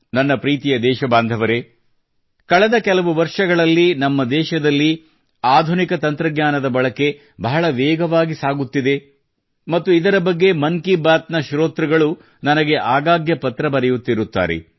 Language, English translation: Kannada, in the last few years, the pace at which the use of modern technology has increased in our country, the listeners of 'Mann Ki Baat' often keep writing to me about it